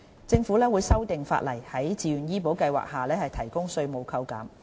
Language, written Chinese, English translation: Cantonese, 政府會修訂法例，在自願醫保計劃下提供稅務扣減。, The Government will amend the law to allow tax deduction for relevant premiums paid under the Voluntary Health Insurance Scheme